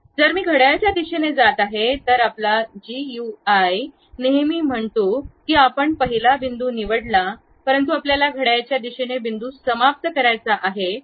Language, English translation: Marathi, If I am going to do clockwise direction, your GUI always says that you pick the first point, but you want to end the point in the clockwise direction